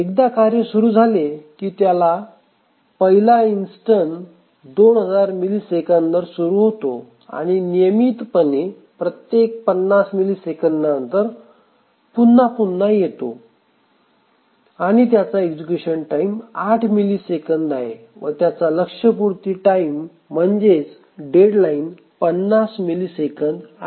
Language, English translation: Marathi, And then once the task starts the first instance of the task starts after 2,000 milliseconds and then it periodically recurs every 50 milliseconds and the execution time may be 8 milliseconds and deadline is 50 milliseconds